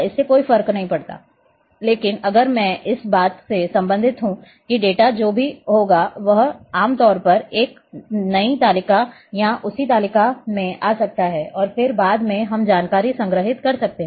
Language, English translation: Hindi, Does not matter, but if I relate with this that data will whatever at the common may come in a new table or in the same table and then later on we can store the information